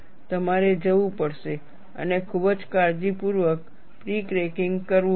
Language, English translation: Gujarati, You have to go and do the pre cracking very carefully